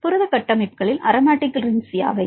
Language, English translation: Tamil, What are the aromatic rings in the protein structures